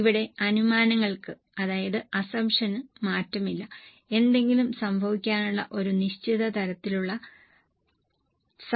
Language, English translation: Malayalam, Here the assumptions are fixed and there is a certain level of possibility of some things happening